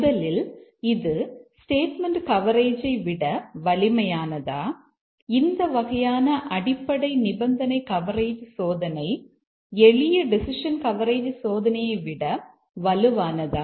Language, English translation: Tamil, Is this kind of testing, the basic condition coverage testing, is it stronger than simple decision coverage testing